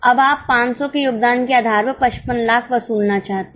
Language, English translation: Hindi, Now you want to recover 55 lakhs based on a contribution of 500